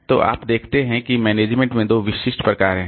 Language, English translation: Hindi, So, you see that there are two specific type of management if we see